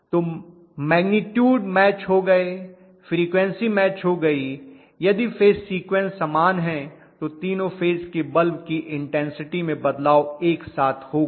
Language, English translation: Hindi, So magnitude is matched, frequency is matched, if the phase sequences are the same the intensity variation of all the 3 phase bulbs will go hand in hand